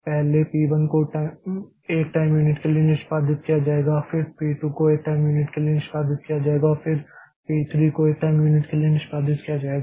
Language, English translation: Hindi, So, I can, so P3 will be executed for one time unit, then P4 will be executed for one time unit, then P5 will be executed for one time unit